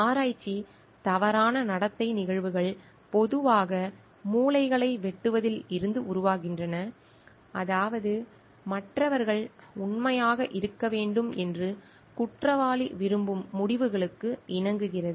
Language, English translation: Tamil, Instances of research misconduct, commonly stem from cutting corners which means conforming to results that the perpetrator wants the others to believe to be true